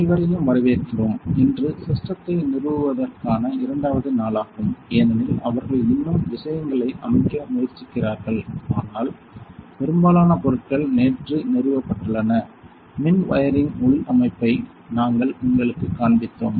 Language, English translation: Tamil, Welcome everyone, today is the second day of installation of this system as you can see they are still trying to set things up, but most of the items have been installed yesterday we showed you the internal structure of the electrical wiring